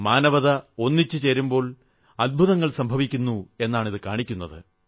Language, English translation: Malayalam, This proves that when humanity stands together, it creates wonders